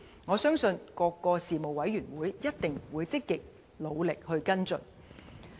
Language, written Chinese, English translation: Cantonese, 我相信各事務委員會一定會積極努力跟進。, I am sure various Panels will actively take follow - up action